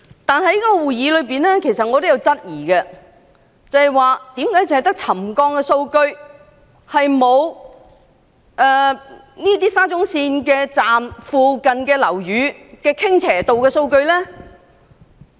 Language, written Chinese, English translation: Cantonese, 但在該次會議上，其實我也質疑為何只有沉降數據而沒有沙中線車站附近樓宇的傾斜度數據。, But at that particular meeting I actually queried why it only submitted the settlement data without providing the tilting data of buildings in the vicinity of SCL stations